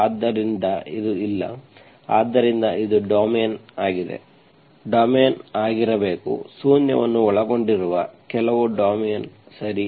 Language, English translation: Kannada, So it is not, so this is the domain, the domain should be, some domain that does not include zero, okay